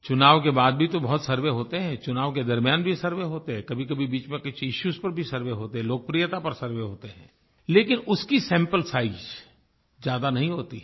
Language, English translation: Hindi, Now a lot of surveys are conducted after the elections, during the elections, at other times also over some issues, sometimes to gauge the popularity, but the sample size of these surveys is not very big